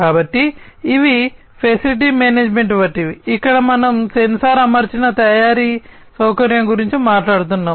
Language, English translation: Telugu, So, these are the ones like facility management, here we are talking about sensor equipped manufacturing facility